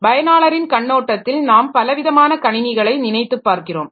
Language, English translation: Tamil, So, in the user view also you can think about different types of computers